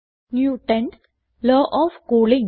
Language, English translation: Malayalam, Newtons law of cooling